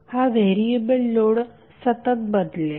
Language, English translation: Marathi, So this is the variable load it will keep on changing